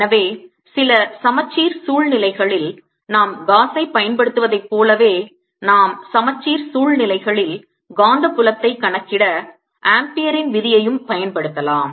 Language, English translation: Tamil, so just like we use gauss's in certain symmetric situations, we can also use ampere's law and symmetry situations to calculate the magnetic field